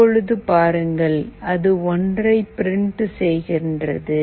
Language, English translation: Tamil, Now see, it is printing 1